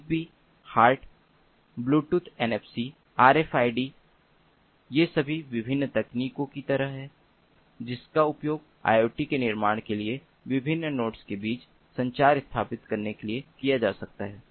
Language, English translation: Hindi, zigbee, hart, bluetooth, nfc, rfid these are all like different technologies that can be used for establishing connectivity between different nodes for building up iot